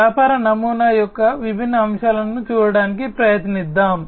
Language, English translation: Telugu, So, let us try to look at the different aspects of the business model